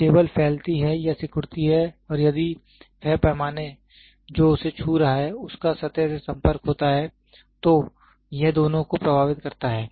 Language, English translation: Hindi, When the table expands or contracts and if that scale which is touching it is having a surface, then this influences both